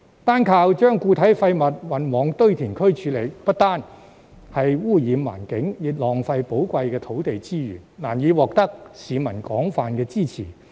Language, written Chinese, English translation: Cantonese, 單靠把固體廢物運往堆填區處理，不單污染環境，亦浪費寶貴的土地資源，難以獲得市民廣泛支持。, It is difficult to gain widespread public support by simply transporting solid waste to landfills for disposal as it not only pollutes the environment but also puts valuable land resources to waste